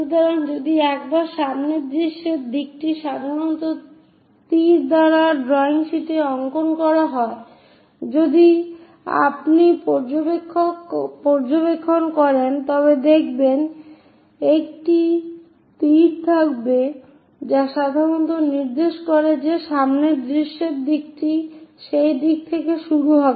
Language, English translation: Bengali, So, once this is the front view direction is given by arrows usually on drawing sheets if you are observing, there will be a arrow which usually indicates that the front view direction supposed to begin in that direction